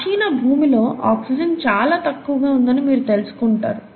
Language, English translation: Telugu, You find that the earlier earth had very low oxygen